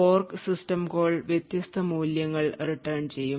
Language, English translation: Malayalam, Now when the fork system call returns, it could return with different values